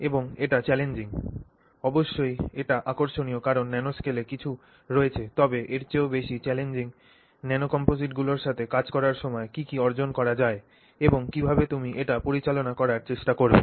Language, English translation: Bengali, And this poses challenges, of course it is interesting because there is something in the nanoscale but more than that it poses certain challenges to what can be accomplished when you work with nano composites and you know how you would go about trying to handle it